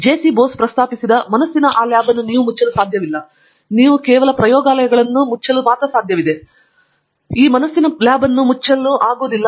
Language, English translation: Kannada, You cannot close that lab of the mind that JC Bose mentioned, that lab cannot be closed